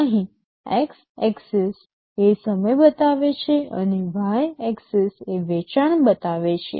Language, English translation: Gujarati, Here the x axis shows the time and y axis shows the sales